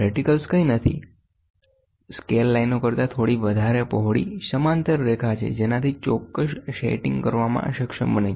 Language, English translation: Gujarati, Reticles are nothing but parallel lines spaced slightly wider than scale lines enabling precise setting to be made